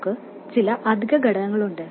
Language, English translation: Malayalam, We have some extra components